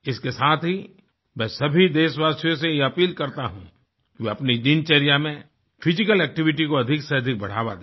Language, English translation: Hindi, Also concomitantly, I appeal to all countrymen to promote more physical activity in their daily routine